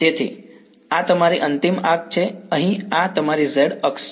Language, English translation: Gujarati, So, this is your end fire over here so, this is your z axis